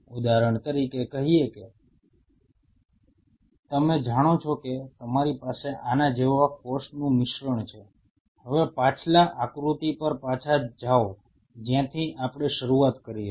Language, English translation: Gujarati, The say for example, you know you have a mixture like this a mixture of cells like this now go back to the previous diagram where we started